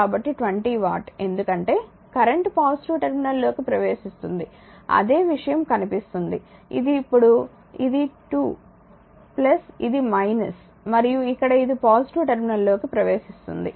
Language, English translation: Telugu, So, 20 watt right because current entering into the positive terminal same thing you look, this is at this is now we have made this is 2 plus this is minus and it is here it is in the a entering into the positive terminal